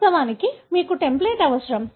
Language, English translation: Telugu, Of course, you need the template